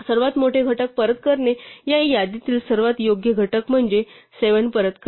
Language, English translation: Marathi, So, returning the largest factors just returns the right most factor in this list namely 7